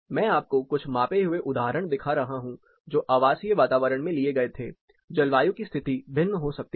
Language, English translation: Hindi, I am showing you few measured examples, which were taken in residential environments, climate conditions may vary